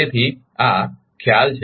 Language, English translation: Gujarati, So, this is the concept